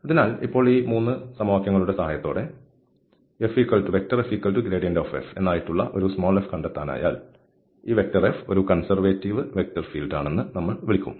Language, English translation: Malayalam, So, now, with the help of these 3 equations, if we can find a small f such that this gradient f is equal to the vector F, then we will call that this F is a conservative vector field